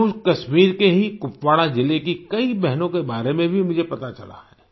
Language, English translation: Hindi, I have also come to know of many sisters from Kupawara district of JammuKashmir itself